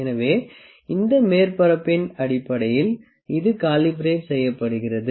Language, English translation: Tamil, So, it is calibrated based on this surface and this surface